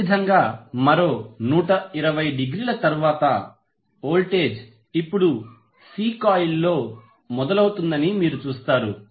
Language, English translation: Telugu, Similarly after another 120 degree you will see voltage is now being building up in the C coil